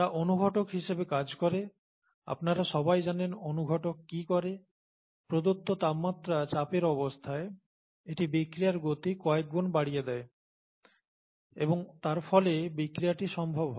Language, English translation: Bengali, They act as catalysts, you all know what a catalyst does, it speeds up the rate of the reaction several fold at that temperature pressure condition and thereby makes the reaction possible